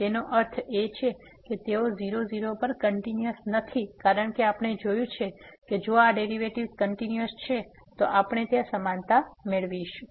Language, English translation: Gujarati, So that means, they are not continuous also at 0 0 because we have seen if the derivatives these derivatives are continuous then we will get the equality there